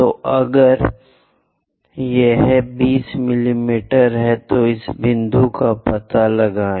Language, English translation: Hindi, So, if it is 20 mm, locate this point